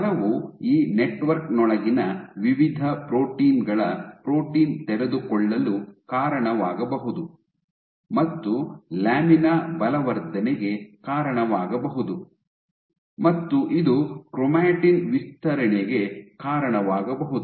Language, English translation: Kannada, So, force might lead to protein unfolding of various proteins within this network, might lead to reinforcement of lamina at lead to chromatin stretching